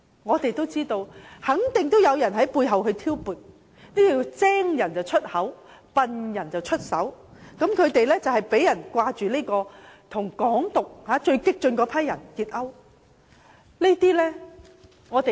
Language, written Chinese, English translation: Cantonese, 我們知道，肯定有人在背後挑撥，這就是"精人出口，笨人出手"，他們被指勾結推崇"港獨"的最激進人士。, We know someone behind the scene provoked such actions but as the saying goes the intelligent speaks the idiot takes actions . They are accused of colluding with the most radical Hong Kong independence advocates